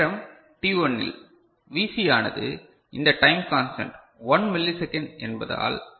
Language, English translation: Tamil, So, time in time t1 so, Vc becomes because of this time constant 1 millisecond